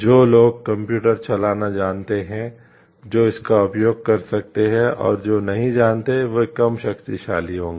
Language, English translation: Hindi, Those who know like who have the knowledge of computers who can use it and those who do not know, it will be the people who will be less powerful